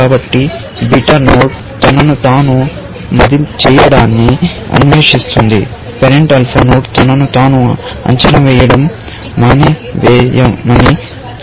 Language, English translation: Telugu, So, beta node stops evaluating itself, if the parent alpha node tells it to stop evaluating itself